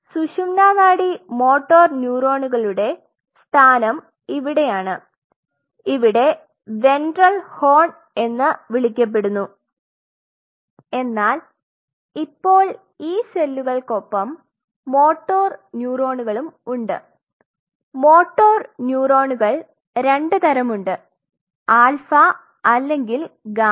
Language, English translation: Malayalam, So, the location of the spinal cord motor neurons is here which is called the ventral horn, but now these cells along with the motor neurons they have there are two types there will be alpha or will be gamma